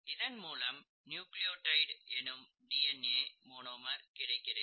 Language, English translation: Tamil, You get the monomer of DNA which is a nucleotide